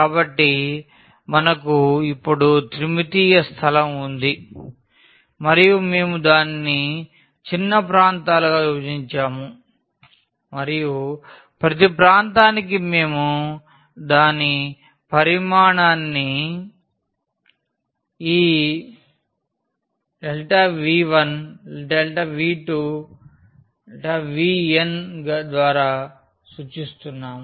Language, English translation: Telugu, So, we have a 3 dimensional a space now and we have divided that into small regions and for each region we are denoting its volume by this delta V 1 delta V 2 and delta V n